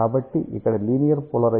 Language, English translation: Telugu, So, hence there is a linear polarization